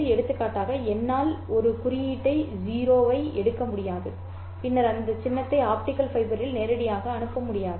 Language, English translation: Tamil, For example, I can't take a symbol zero and then transmit directly the symbol zero on the optical fiber